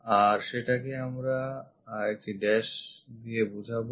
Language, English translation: Bengali, So, we show it by dashed one